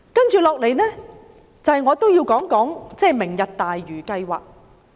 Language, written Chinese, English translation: Cantonese, 接下來，我也要談談"明日大嶼"計劃。, Next I will talk about the Lantau Tomorrow programme